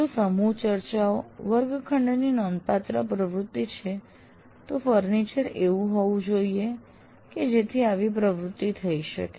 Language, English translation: Gujarati, If group discussions constitute a significant classroom activity, the furniture should permit such an activity